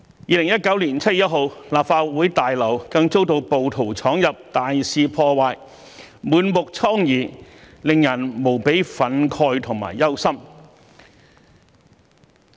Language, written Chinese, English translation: Cantonese, 2019年7月1日，立法會大樓更遭到暴徒闖入，大肆破壞，滿目瘡痍，令人無比憤慨和憂心。, On 1 July 2019 the Legislative Council Complex was even broken into and ransacked by rioters . We were overwhelmed with indignation and worries seeing it in such a devastated state